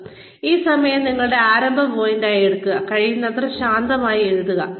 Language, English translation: Malayalam, And, take this time, as your starting point, and write down, as crisply as possible